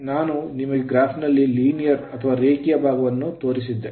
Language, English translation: Kannada, So, I showed you the linear portion